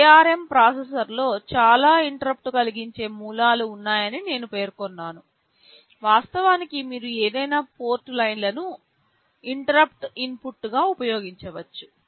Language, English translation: Telugu, I mentioned that in ARM processors there are many interrupting source; in fact, any of the port lines you can use as an interrupt input